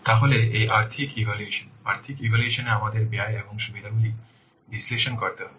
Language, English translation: Bengali, In financial assessment we have to what analyze the cost and the benefits